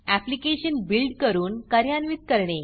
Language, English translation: Marathi, Let us now build and run the application